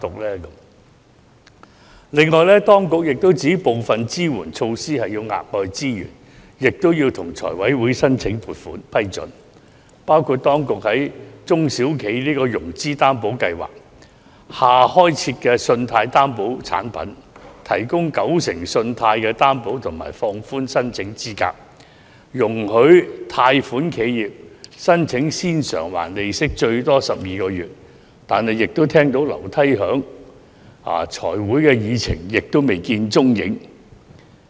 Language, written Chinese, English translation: Cantonese, 另外，當局也指部分支援措施需要額外資源，亦要向財委會申請撥款批准，包括當局表示會在"中小企融資擔保計劃"下開設新的信貸擔保產品，提供九成信貸擔保及放寬申請資格、容許貸款企業申請先償還利息最多12個月，但這也是只聞樓梯響，在財委會的議程上未見蹤影。, In addition the authorities have also indicated that the implementation of some of the support measures needs additional resources and funding applications must be made to FC . The authorities have further indicated that under the SME Financing Guarantee Scheme a new loan guarantee product would be introduced a 90 % guarantee would be provided for approved loans the eligibility criteria would be relaxed and borrowers might apply for principal moratorium of up to 12 months in total . But this is all foam and no beer as it has yet to be placed on the agenda of FC